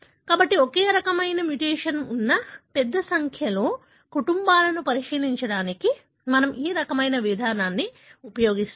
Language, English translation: Telugu, So, we use this kind of approach to look into a large number of families having the same mutation